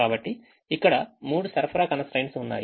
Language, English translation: Telugu, so there are three supply constraints